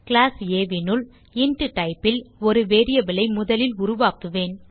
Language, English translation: Tamil, Now inside class A, I will first create a variable of type int